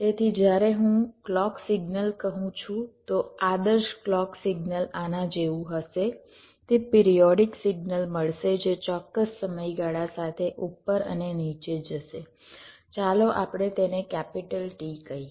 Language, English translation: Gujarati, so when i say the clock signal, so the ideal clock signal will be like this: it would be get periodic signal that we go up and down with certain time period, lets say t